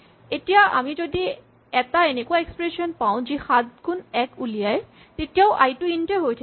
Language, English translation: Assamese, Now if we take an expression, which produces an int such as 7 times 1, i remain an int